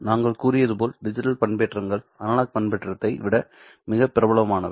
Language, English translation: Tamil, As we said digital modulations are much more popular than analog modulation